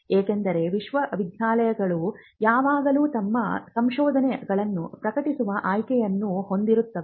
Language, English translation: Kannada, Because university is always having an option of publishing their research